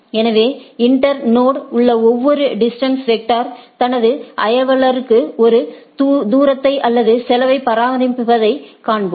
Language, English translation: Tamil, So, we will see that distance vector each router in the internode maintains a distance or cost from itself to its neighbor